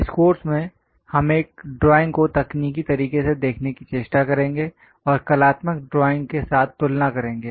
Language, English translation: Hindi, In this course, we are going to learn about technical way of looking at drawing and trying to compare with artistic drawing also